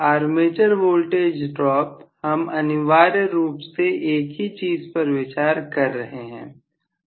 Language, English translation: Hindi, Armature voltage drop, so we are essentially considering the same thing